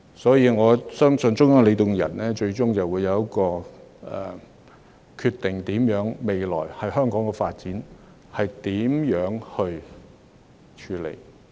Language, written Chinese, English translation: Cantonese, 所以，我相信中央領導人最終會就香港的未來發展作出決定。, Therefore I believe that they will decide the future development of Hong Kong ultimately